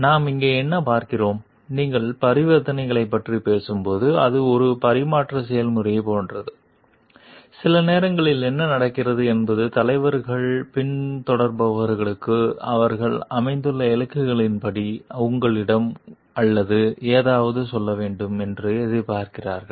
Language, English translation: Tamil, So, what we see over here like, when you are talking of transaction it is a like exchange process like the sometimes what happens leaders are expecting followers to tell you or something according to their like the goals that they have set for the followers